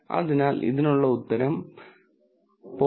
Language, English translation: Malayalam, So, this will be 0